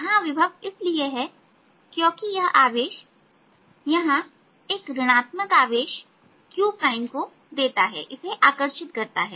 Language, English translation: Hindi, the potential is there because this q gives a negative image, charge here q prime, and that attracts it